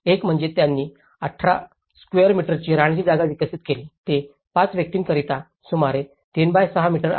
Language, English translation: Marathi, One is they developed a living space of 18 square meters, which is about 3*6 meters for up to 5 individuals